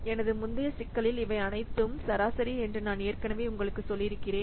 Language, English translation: Tamil, In my previous problem I have already told you that these are all what average